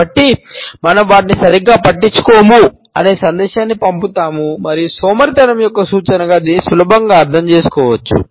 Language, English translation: Telugu, So, we send the message that we do not care about them enough to maintain them properly and this can be easily interpreted as an indication of a person who is lazy and cannot be bothered